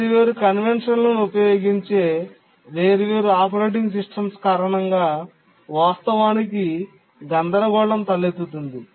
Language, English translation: Telugu, Actually the confusion arises because different operating systems they use different conventions